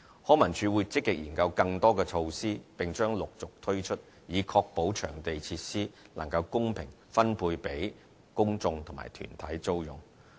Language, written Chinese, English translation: Cantonese, 康文署會積極研究更多措施，並將陸續推出，以確保場地設施能公平分配予公眾及團體租用。, LCSD will continue working out more measures actively and introducing them one after another to ensure fair allocation of facilities for hire by members of the public and individual groups